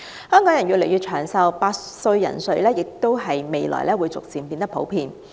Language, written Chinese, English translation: Cantonese, 香港人越來越長壽，百歲人瑞將於未來變得越來越普遍。, With the increasing longevity of Hong Kong people there will be more and more centenarians in the territory